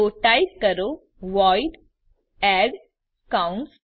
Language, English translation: Gujarati, So type void add parentheses